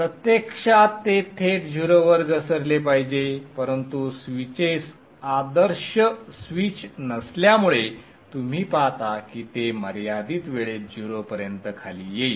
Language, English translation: Marathi, It should in effect ideally drop to zero directly but because the switches are not ideal switches you will see that it will drop to zero in finite time